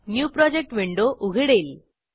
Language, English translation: Marathi, A New Project window opens up